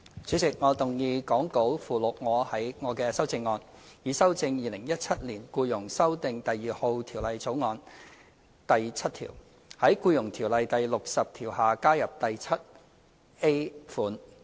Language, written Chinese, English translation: Cantonese, 主席，我動議講稿附錄我的修正案，以修正《2017年僱傭條例草案》第7條，在《僱傭條例》第60條下加入第款。, Chairman I move my amendment to amend clause 7 of the Employment Amendment No . 2 Bill 2017 the Bill by adding subsection 7A in section 60 of the Employment Ordinance EO as set out in the Appendix to the Script